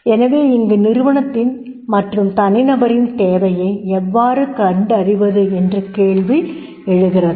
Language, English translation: Tamil, So, question arises how to identify the need of organization and the individual